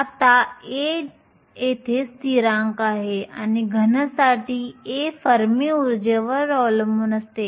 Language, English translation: Marathi, Now, a here is a constant and for a solid, a depends upon the Fermi energy